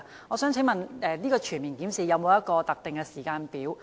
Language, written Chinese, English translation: Cantonese, 我想問全面檢視的工作是否有特定的時間表？, May I ask whether a specific timetable has been set for the comprehensive review?